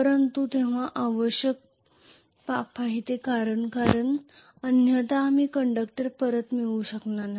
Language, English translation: Marathi, But it is a necessary evil because otherwise I will not be able to get the conductor back